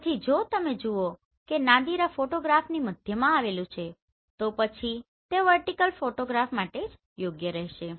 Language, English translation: Gujarati, So if you see the Nadir lies on the center of this photograph then only this will qualify for this vertical photograph right